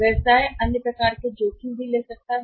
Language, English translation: Hindi, Business may take other kind of risks also